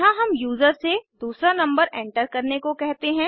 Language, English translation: Hindi, Here we ask the user to enter the second number